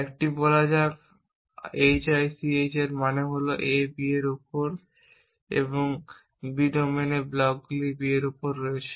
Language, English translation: Bengali, Let a say hich stands for the fact that A is on B and B is on B in the blocks for domain